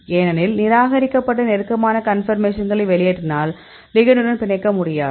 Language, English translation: Tamil, Because we emitted the discarded the close conformation because close conformation ligand cannot bind